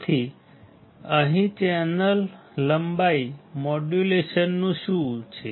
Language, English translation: Gujarati, So,, let us see what is channel length modulation